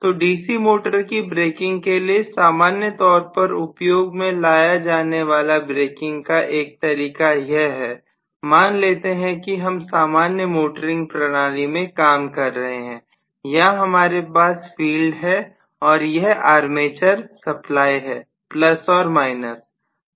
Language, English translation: Hindi, So one of the methods of braking normally what we employ for a DC motor, let us say this is the normal motoring operation, here is the field and this is the armature supply with plus here and minus here